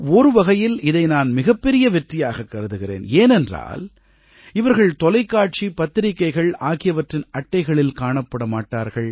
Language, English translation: Tamil, In a way, I consider this to be a huge pat on the back because these are people who are not on the front page of a Magazine or Newspaper or on our TV screens